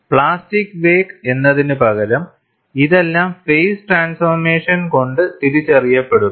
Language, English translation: Malayalam, Instead of the plastic wake, here it would all be dictated by the phase transformation